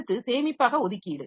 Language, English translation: Tamil, Then storage allocation